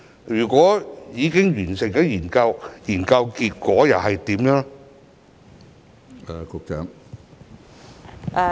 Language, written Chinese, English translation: Cantonese, 如果已經完成研究，結果又是怎樣呢？, If it has been completed what are the results?